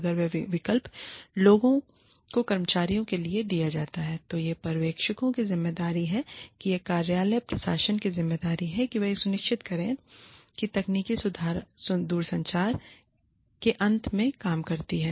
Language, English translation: Hindi, If, this option is given to people, to employees, then it is the responsibility of the supervisors, it is the responsibility of the office administration, to ensure, that the technology works, at the end of the telecommuters